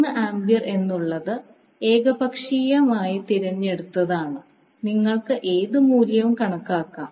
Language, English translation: Malayalam, We have taken 3 ampere as an arbitrary choice you can assume any value